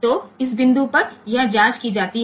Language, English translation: Hindi, So, that check is done at this point